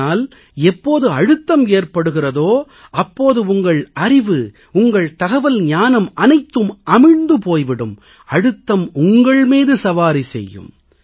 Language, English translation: Tamil, But when there is tension, your knowledge, your wisdom, your information all these buckle under and the tension rides over you